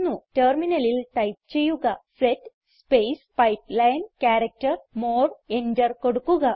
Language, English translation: Malayalam, Type at the terminal set space pipeline character more and press enter